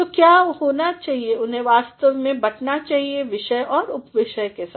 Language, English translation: Hindi, So, what needs to be done is they actually need to be segregated with topics and subtopics